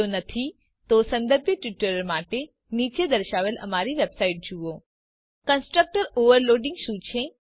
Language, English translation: Gujarati, If not, for relevant tutorials please visit our website which is as shown, (http://www.spoken tutorial.org) What is constructor overloading